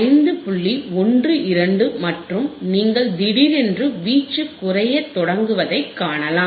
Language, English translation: Tamil, 12 and you can suddenly see that now the amplitude will start decreasing right yeah